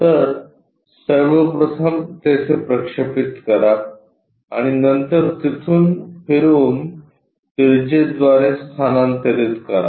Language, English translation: Marathi, So, first of all project there and then transfer it by radius rotating it there